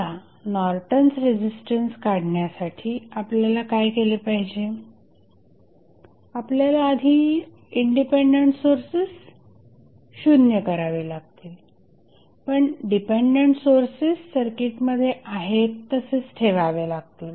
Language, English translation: Marathi, Now, what we have to do to find out the Norton's resistance, we have to first set the independent Sources equal to 0, but leave the dependent sources as it is in the circuit